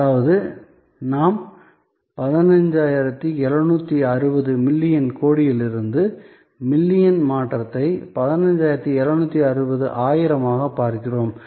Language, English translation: Tamil, So, that means we are looking at 15760 million crore to million conversion, so 15760 thousand